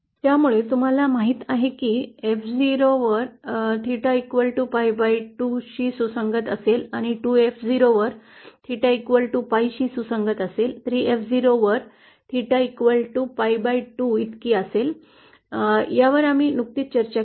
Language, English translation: Marathi, So as you know at the point F 0 theta will correspond to pi by 2 and at 2F0 theta will be equal to pi, at 3F0 theta will be equal to 3pi by 2, this we just discussed